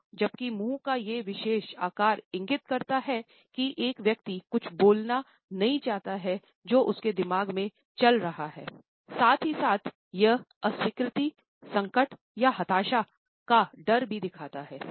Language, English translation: Hindi, So, whereas, this particular shape of the mouth indicates that a person does not want to a speak something which is going on in his or her mind, then it also simultaneously communicates a fear of disapproval, distress or frustration